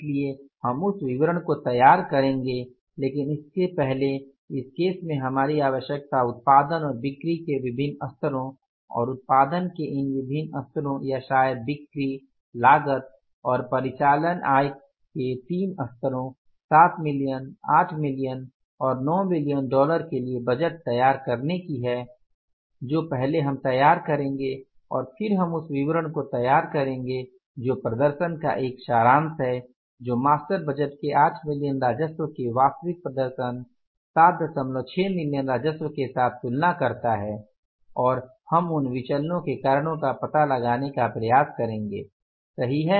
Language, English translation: Hindi, So, we will prepare that statement but before that our requirement in this case is to prepare the budget for different levels of production and sales and these different level of the production or maybe the sales and the cost and the operating incomes at the three levels that is the 7 million, 8 million and 9 million dollars that first we will be preparing and then we will be preparing the statement that is a summary of the performance comparing the master budget of 8 million worth of the revenue with the 7